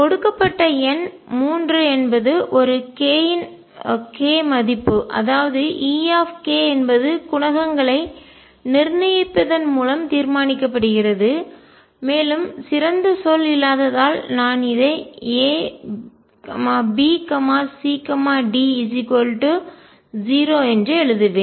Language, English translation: Tamil, Number 3 given a k value E k is determined by making the determinant of coefficients for and for the lack of better word I will just write A B C D equal to 0